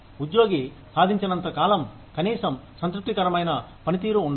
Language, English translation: Telugu, As long as the employee achieves, at least satisfactory performance